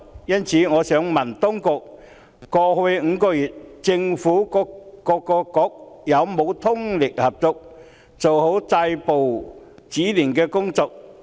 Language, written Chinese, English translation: Cantonese, 因此，我想問當局，過去5個月，政府各個局之間有沒有通力合作，做好止暴制亂的工作？, In this connection may I ask the authorities whether in the last five months there has been close cooperation among various bureaux in the Government in carrying out work to stop violence and curb disorder?